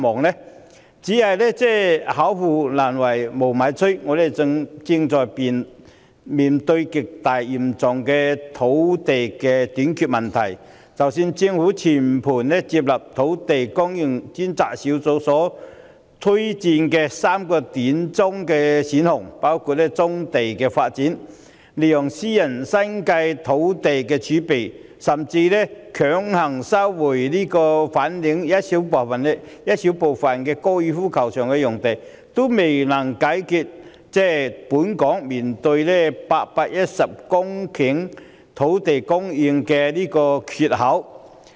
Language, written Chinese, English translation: Cantonese, 然而，巧婦難為無米炊，我們正面對極為嚴重的土地短缺問題，即使政府全盤接納專責小組所推薦的3個短中期選項，包括發展棕地、利用私人的新界農地儲備，甚至是強行收回粉嶺高爾夫球場內小部分用地，仍然未能解決本港所面對的810公頃土地供應"缺口"。, However even the cleverest housewife cannot cook a meal without ingredients . We are now faced with an extremely acute problem of land shortage . The shortfall of 810 hectares in land supply faced by Hong Kong would not be solved even if the Government accepted all the three short - to - medium term options recommended by the Task Force including the development of brownfield sites tapping into private agricultural land reserve in the New Territories and mandatory resumption of a small portion of the site at the Fanling Golf Course